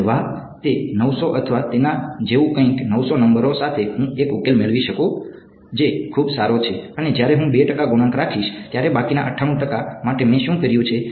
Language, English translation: Gujarati, Yeah, it 900 or something like that with 900 numbers I can get a solution that is so good right, and what when I keep 2 percent coefficients what I have done to the remaining 98 percent